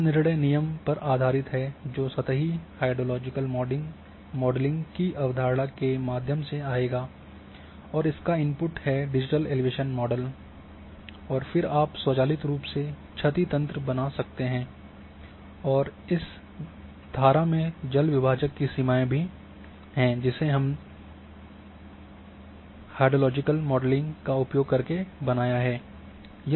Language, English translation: Hindi, So, this is based on decision rules, decision rules will come through the surface hydrologic modeling concept the input is digital elevation model you decide and then you can create automatically the damage network, you can also create the watershed boundaries you can also create this stream ordering and so on so forth using hydrological modeling and using seek functions